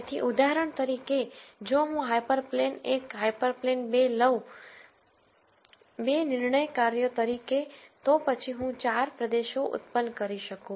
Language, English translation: Gujarati, So, for example, if I take hyper plane 1, hyper plane 2, as the 2 decision functions, then I could generate 4 regions